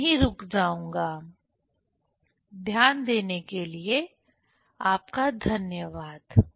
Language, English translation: Hindi, I will stop here; thank you for your kind attention